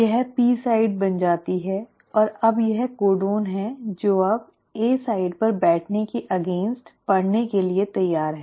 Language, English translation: Hindi, This becomes the P site and now this is the codon which is now ready to be read against sitting at the A site